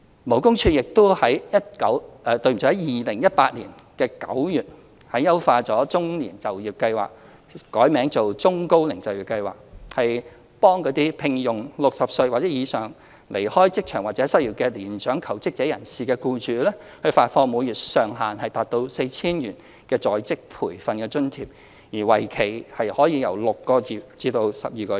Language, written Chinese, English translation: Cantonese, 勞工處亦於2018年9月優化"中年就業計劃"，並易名為"中高齡就業計劃"，向聘用60歲或以上已離開職場或失業的年長求職人士的僱主，發放每月上限 4,000 元的在職培訓津貼，為期6至12個月。, In September 2018 LD further enhanced and renamed the Employment Programme for the Middle - aged as the Employment Programme for the Elderly and Middle - aged . Under the programme employers engaging mature job seekers aged 60 or above who have left the workforce or are unemployed are offered a monthly on - the - job training allowance of up to 4,000 per employee for a period of 6 to 12 months